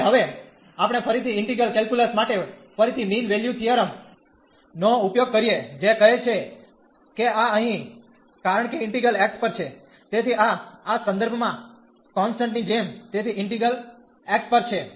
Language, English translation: Gujarati, And now we will use the again the mean value theorem from integral calculus, which says that this here because the integral is over x, so this like a constant in this reference, so integral is over x